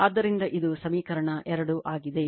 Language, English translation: Kannada, So, this is equation 2 right